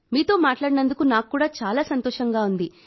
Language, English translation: Telugu, I was also very happy to talk to you